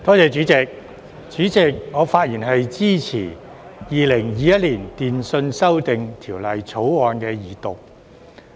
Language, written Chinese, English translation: Cantonese, 主席，我發言支持《2021年電訊條例草案》的二讀。, President I speak in support of the Second Reading of the Telecommunications Amendment Bill 2021 the Bill